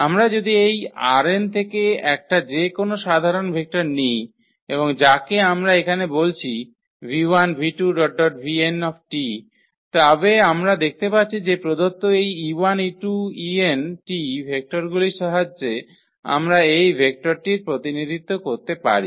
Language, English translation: Bengali, So, if we take a general any vector from this R n and which we are calling here v 1 v 2 v 3 v n then we can see that we can represent this vector with the help of these given vectors e 1 e 2 e n